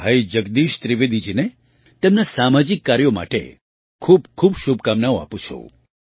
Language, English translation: Gujarati, I wish Bhai Jagdish Trivedi ji all the best for his social work